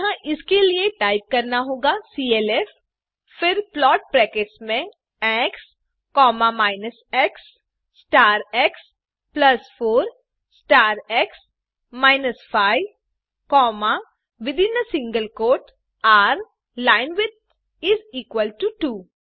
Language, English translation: Hindi, So for that you have to type clf then plot within brackets x,minus x star x plus 4 star x minus 5,r,linewidth is equal to 2